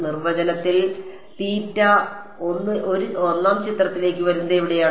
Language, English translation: Malayalam, In the definition where does theta I come into the picture